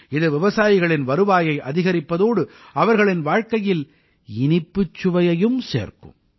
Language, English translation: Tamil, This will lead to an increase in the income of the farmers too and will also sweeten their lives